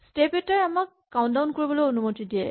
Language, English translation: Assamese, Having a step also allows us to count down